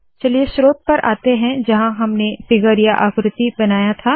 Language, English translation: Hindi, Lets come to the source where we created the figure